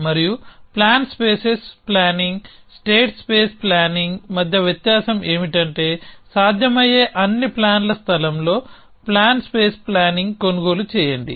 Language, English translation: Telugu, And the different between plan spaces planning, state space planning is plan space planning purchase in the space of all possible plans